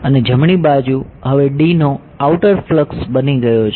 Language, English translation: Gujarati, And the right hand side now has become the outward flux of D ok